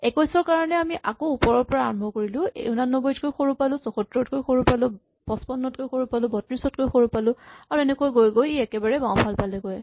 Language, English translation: Assamese, 21, similarly I have to start from the top and say it is smaller than 89 smaller than 74 smaller than 55 smaller than 32, so it goes all the way to the left